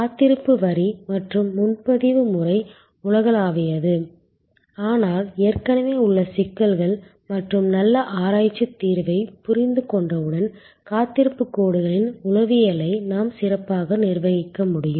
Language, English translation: Tamil, And waiting line and reservations system are universal, but we can manage the psychology of the waiting lines better once we understand the problems and good research solution, that are already available